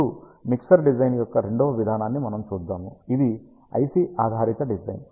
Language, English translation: Telugu, Now, we will see the second approach of mixer design which is IC based design